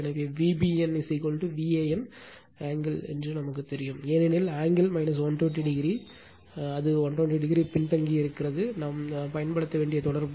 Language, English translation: Tamil, So, we know V BN is equal to V AN angle because angle minus 120 degree because, it lags by 120 degree, just relationship we have to use